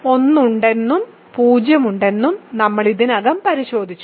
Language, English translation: Malayalam, So, we have already checked that 1 is there and 0 is there